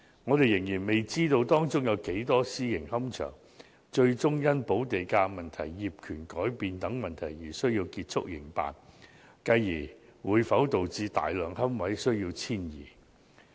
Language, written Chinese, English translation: Cantonese, 我們仍然未知道，有多少個私營龕場最終會因補地價問題、業權改變等而要結束營辦，繼而會否導致大量龕位需要遷移。, We still do not know how many private columbaria will eventually have to cease operation because of premium issues and changes in property ownership etc and whether this will consequently lead to the displacement of a large number of niches